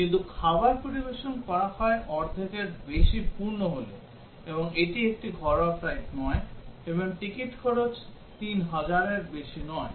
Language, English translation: Bengali, But meals are served when it is more than half full, and it is not a domestic flight, and ticket cost is not more than 3000